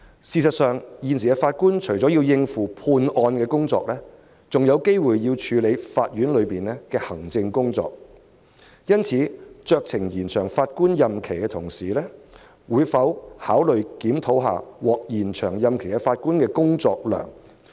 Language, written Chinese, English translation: Cantonese, 事實上，法官現時除了要應付判案工作，有時還要處理法院的行政工作，因此，酌情延展法官退休年齡的同時，當局會否考慮檢討獲延展退休年齡法官的工作量？, As a matter of fact other than making judgments in trials a judge also has to attend to the administration of the court from time to time . Hence apart from extending with discretion the retirement age will the authorities also consider reviewing the workload of Judges whose retirement ages have been extended?